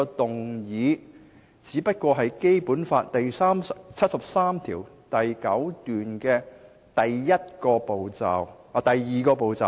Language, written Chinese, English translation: Cantonese, 動議議案是《基本法》第七十三條第九項訂明的第二個步驟。, Initiating a motion is the second step stipulated by Article 739 of the Basic Law